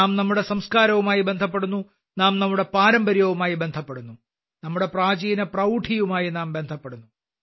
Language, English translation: Malayalam, We get connected with our Sanskars, we get connected with our tradition, we get connected with our ancient splendor